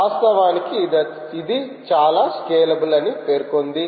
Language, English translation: Telugu, so people do say that this is a very scalable